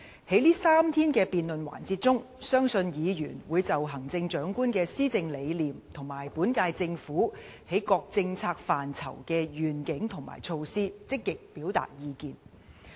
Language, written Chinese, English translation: Cantonese, 在這3天的辯論環節中，相信議員會就行政長官的施政理念和本屆政府在各政策範疇的遠景和措施，積極表達意見。, In the debate sessions of these three days I believe that Members will actively express their views on the principles of governance of the Chief Executive as well as the vision and initiatives for various policy areas of the current - term Government